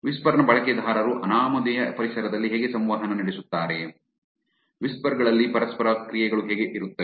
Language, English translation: Kannada, How do whisper users interact in an anonymous environment, how is the interactions on whisper